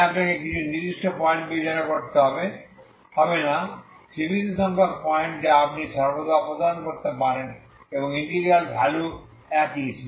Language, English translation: Bengali, So integration at one point is always 0, okay so you need not consider certain points finite number of points you can always remove and in integral integral value is same